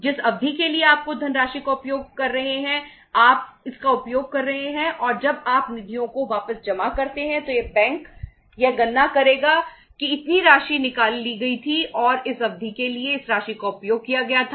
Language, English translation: Hindi, For the period you are using the funds you use it and when you deposit the funds back the bank will calculate that this much amount was withdrawn and for this much period uh period of time this much amount was used